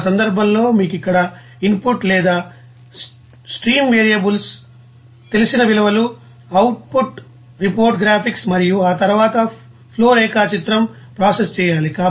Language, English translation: Telugu, Then in that case you need that here input data, known values of stream variables, output report graphics and then process flow diagram